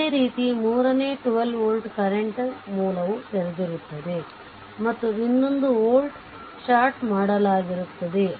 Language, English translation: Kannada, Similarly for the third one the 12 volt source is there current source is open and another volt is shorted right